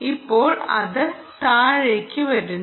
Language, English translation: Malayalam, yes, there you are, now it's coming down